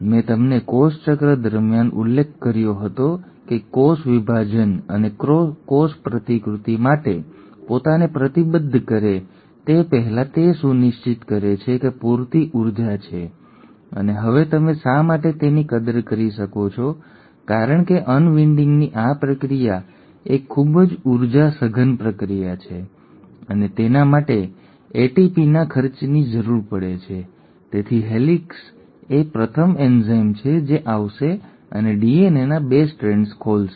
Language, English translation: Gujarati, I mentioned to you during cell cycle that before a cell commits itself to cell division and cell replication it ensures that sufficient energy is there and now you can appreciate why because this process of unwinding is a pretty energy intensive process and it does require expenditure of ATP, so helicase is the first enzyme which will come and open up the 2 strands of DNA